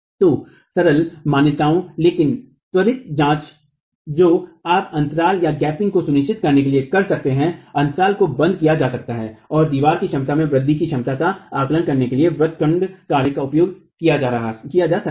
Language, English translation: Hindi, So, simplified assumptions but quick checks that you can do to ensure the gap can be closed, rigid action, the gap can be closed and arching action can be used for estimating the capacity, enhancement of the capacity of the wall itself